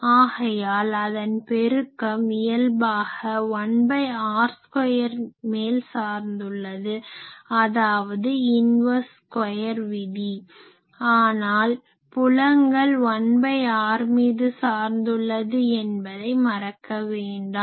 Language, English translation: Tamil, So, their product that is natural it is dependent on r square, that is why we say that power these are all inverse square law of power, but remember that fields they are 1 by r variation